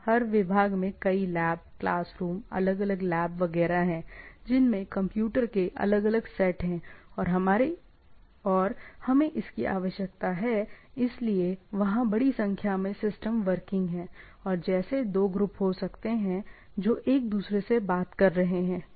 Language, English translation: Hindi, Every departments has several labs, class room etcetera a different labs, etcetera which are having different set of computers and we require, so, there are, there are huge, huge number of systems come into play and as such there may be two groups who are talking, right